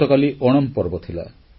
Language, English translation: Odia, Yesterday was the festival of Onam